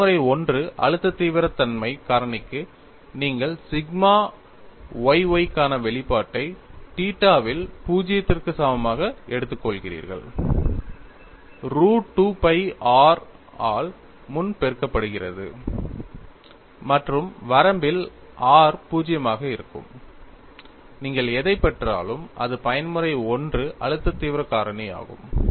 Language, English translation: Tamil, ; Ffor the Mode 1 stress intensity factor, you take the expression for sigma yy at theta equal to 0, 3 pre multiplied by root of 2 pi r,; and in the limit r tends to 0;, whatever you get, is the Mode 1 stress intensity factor